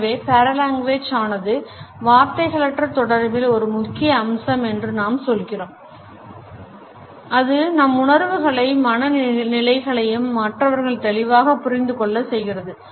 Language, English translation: Tamil, So, we say that paralanguage is an important aspect of nonverbal communication, it passes on a clear understanding of our emotions, moods, background etcetera to the listener